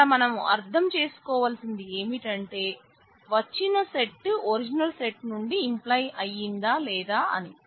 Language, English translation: Telugu, So, you need to understand whether that set implies the original set